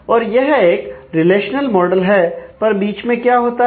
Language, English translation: Hindi, So, it is a relational model, but what happens in between